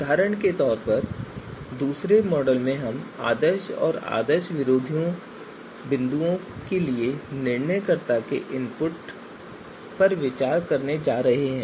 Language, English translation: Hindi, So for example in the second model we are going to in the second model we are going to consider the decision maker’s input for ideal and anti ideal points